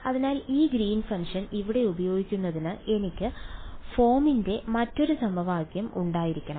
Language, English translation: Malayalam, So, in order to use this Green’s function over here I should have another equation of the form what